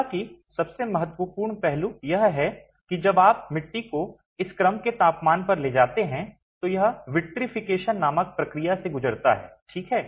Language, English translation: Hindi, However, the most important aspect is when you take the clay to a temperature of this order, it undergoes a process called vitrification